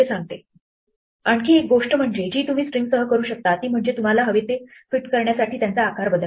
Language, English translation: Marathi, The other thing that you can do with strings is to resize them to fit what you want